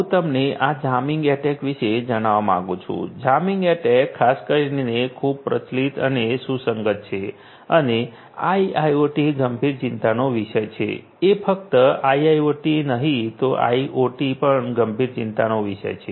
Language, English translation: Gujarati, I would like to mention to you about this jamming attack; jamming attack is particularly very prevalent and relevant and is of serious concern in IIoT not just IIoT even in IoT also